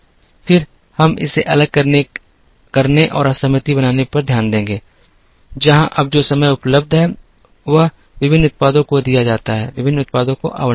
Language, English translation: Hindi, Then, we will look at disaggregating it and making disaggregation, where the time that is available is now given to various products, time allotted to various products